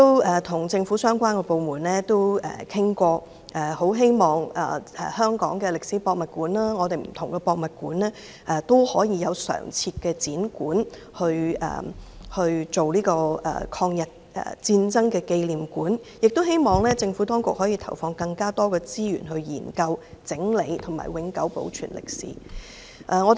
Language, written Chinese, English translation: Cantonese, 我曾與政府相關部門討論，希望香港的歷史博物館及不同的博物館有常設展館，作為抗日戰爭紀念館，亦希望政府當局投放更多資源，研究、整理及永久保存這段歷史。, I have discussed with the government departments concerned hoping that Hong Kong Museum of History and different museums will have permanent exhibition halls to be used as memorial halls of the War of Resistance against Japanese Aggression . It is also hoped that the Administration will devote more resources to study organize and permanently preserve this period of history